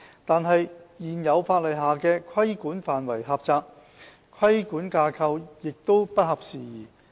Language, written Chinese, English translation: Cantonese, 但是，現有法例下的規管範圍狹窄，規管架構亦不合時宜。, However the current scope of regulation is limited to a narrow set of premises and the existing regulatory frameworks for PHFs are out - dated